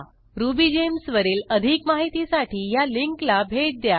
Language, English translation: Marathi, For more information on RubyGems visit the following link